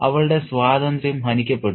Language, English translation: Malayalam, Her freedom was curtailed